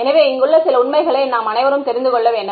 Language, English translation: Tamil, So, this is just some facts which we should all know